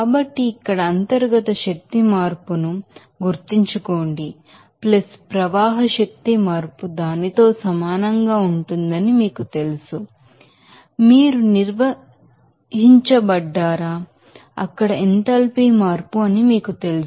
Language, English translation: Telugu, So, remember this here this internal energy change + this you know flow energy change will be equals to that are will be denoted by, are will be you know defined as are will be referred as are will be you know known as enthalpy change there